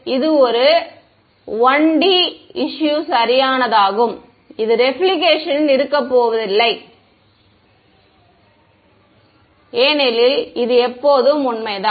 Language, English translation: Tamil, In a 1 D problem it is perfect there is going to be no reflection because this is always true ok